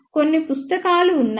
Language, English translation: Telugu, There are some books